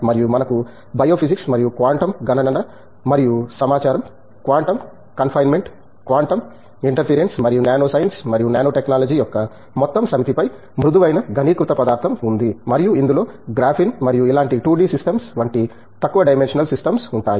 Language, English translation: Telugu, And, we have soft condensed matter on bio physics and quantum computation and information, quantum confinement, quantum interference and the entire set of nanoscience and nanotechnology and this involves low dimensional systems like graphene and similar 2D systems